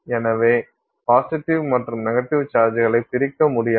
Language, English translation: Tamil, So, the positive and negative charges are slightly displaced